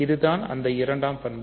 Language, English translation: Tamil, So, this is the second property